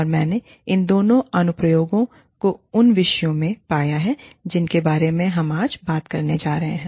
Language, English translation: Hindi, And, I found applications of both of these, in the topics, that we are going to talk about, today